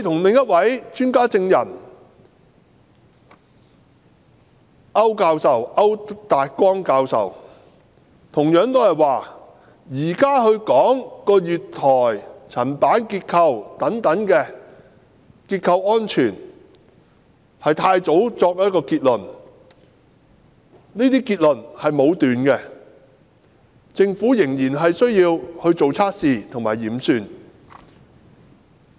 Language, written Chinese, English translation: Cantonese, 另一位專家證人區達光教授同樣說，現時確認月台層板等結構安全是太早作出結論和武斷，政府仍然需要作測試及驗算。, Another expert witness Prof Francis AU also said that it is immature and arbitrary to endorse the structural safety of the platform slab at this stage and that further tests and calculations by the Government are still warranted